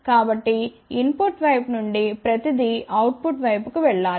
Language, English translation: Telugu, So, everything from input side should go to the output side